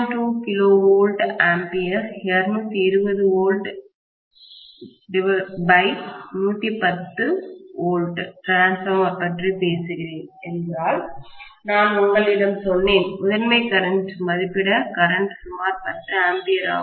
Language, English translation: Tamil, 2 kVA, 220 volts by 110 volts transformer, I told you that the primary current, rated current is about 10 amperes